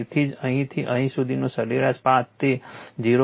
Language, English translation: Gujarati, So, that is why from here to here the mean path it is marked 0